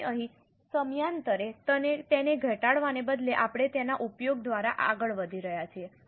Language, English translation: Gujarati, So, here instead of reducing it over a period, we are going by its utilization